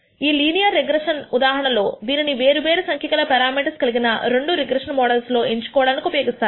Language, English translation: Telugu, In the case of linear regression this is used to choose between two regression models having different number of parameter